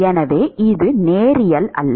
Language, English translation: Tamil, So, it is not linear